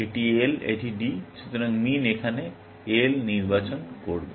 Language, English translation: Bengali, This is L; this is D; so, min will choose L here